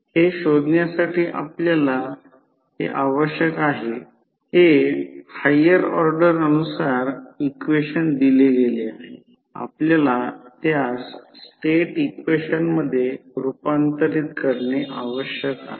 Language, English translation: Marathi, So, this is the higher order differential equation is given we need to find this, we need to convert it into the state equations